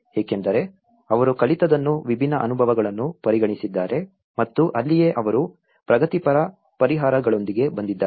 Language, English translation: Kannada, Because they have considered a different experiences what they have learned and that is where they have come up with a progressive solutions